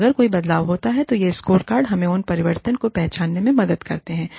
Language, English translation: Hindi, And, if any changes happen, then these scorecards help us, identify those changes